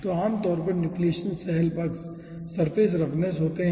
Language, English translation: Hindi, so typically nucleation cell sides are ah surface roughness